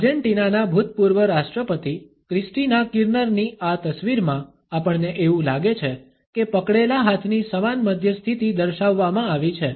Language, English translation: Gujarati, In this photograph of former Argentinean president Christina Kirchner, we find that is similar mid position of clenched hands has been displayed